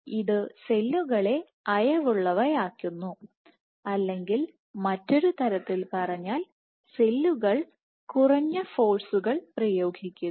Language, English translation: Malayalam, it relaxes cells, or in other words cells exert lesser forces